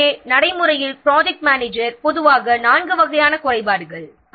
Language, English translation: Tamil, So, in practice, the project manager normally concerned with four types of shortfalls